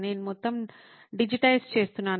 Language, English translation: Telugu, I was digitizing the whole thing